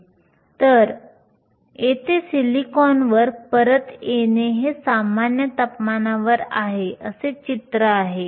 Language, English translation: Marathi, So, coming back to silicon here is the picture we have at room temperature